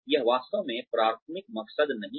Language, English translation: Hindi, That is not really the primary motive